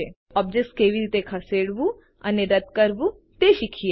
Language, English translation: Gujarati, Now let us learn how to move and delete objects